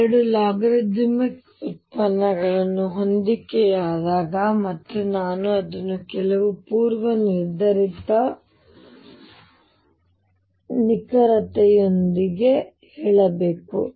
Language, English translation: Kannada, When the 2 logarithmic derivatives match, and I have to say it within some predefined accuracy